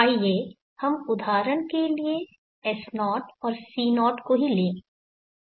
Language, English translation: Hindi, Let us take for example S0 and C0 of same